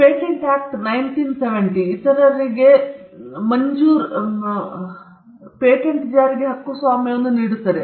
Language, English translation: Kannada, The Patents Act 1970 gives the patent holder a right to enforce a granted patent against others